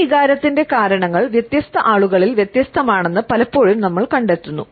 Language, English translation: Malayalam, Often we find that the reasons of this emotion are different in different people